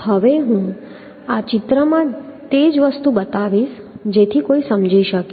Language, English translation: Gujarati, So now I will show the same thing in this picture so that one can understand